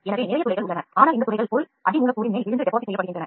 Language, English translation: Tamil, So, there are lot of holes though this holes the material falls on top of the substrate and get deposited